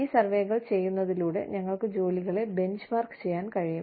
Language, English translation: Malayalam, And so, by doing these surveys, we are able to, benchmark jobs